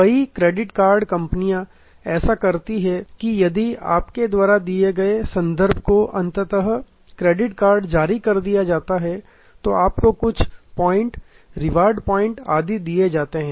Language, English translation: Hindi, Many credit card companies do that if your reference ultimately is issued a credit card, then you are given some points, reward points and so on